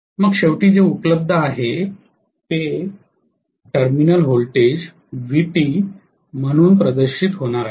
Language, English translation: Marathi, Then finally what is available, this is going to be manifested as the terminal voltage Vt